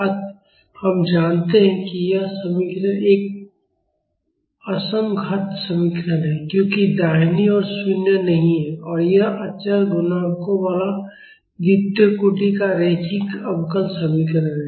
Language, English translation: Hindi, So, we know that this equation is a non homogeneous equation, because the right hand side is non zero and this is a second order linear differential equation with constant coefficients